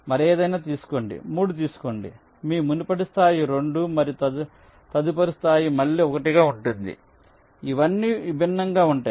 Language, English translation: Telugu, take any other, lets say take three, your previous level is two and next level will be one again, which are all distinct